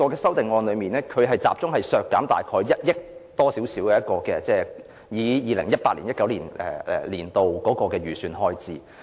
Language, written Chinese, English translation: Cantonese, 修正案集中削減1億多元，大約相當於 2018-2019 年度創科局創科基金的預算開支。, The amendment seeks to cut more than 100 million an amount roughly equivalent to the estimated expenditure on the FBL in 2018 - 2019